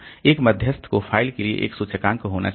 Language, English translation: Hindi, And intermediary is to have an index for the file